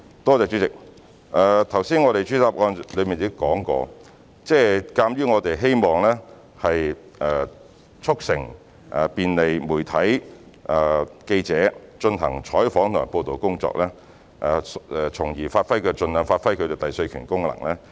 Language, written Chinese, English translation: Cantonese, 代理主席，我剛才在主體答覆已指出，我們希望便利媒體及記者進行採訪及報道的工作，以便能盡量發揮其第四權功能。, Deputy President as I pointed out in the main reply we hope that we can facilitate the media and journalists in covering and reporting news so as to exert their function as the fourth estate as far as possible